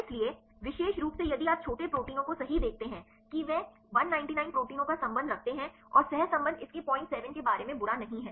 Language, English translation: Hindi, So, specifically if you see the small proteins right that they concerned 199 proteins and the correlation is not bad its about 0